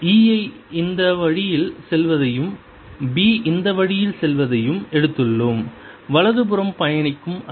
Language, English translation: Tamil, we have taken e going this way and b going this way, wave travelling to the right